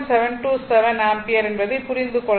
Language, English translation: Tamil, 727 ampere right